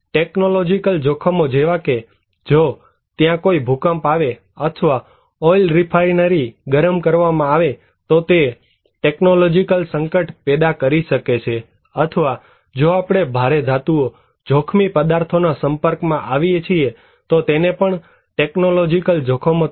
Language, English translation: Gujarati, In case of technological hazards like, if there is an earthquake or heating an oil refinery, it can also cause technological hazards or even if we are exposed to heavy metals, hazardous materials, this should be considered as technological hazards